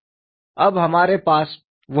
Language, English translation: Hindi, Now, we have that information